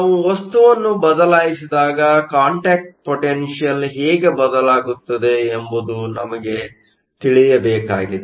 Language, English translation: Kannada, What we want to know is how the contact potential changes when we change the material